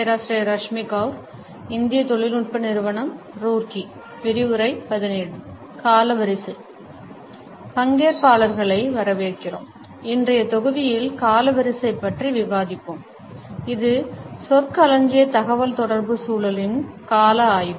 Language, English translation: Tamil, Welcome dear participants, in today’s module we shall discuss Chronemics which is a study of time in the context of nonverbal communication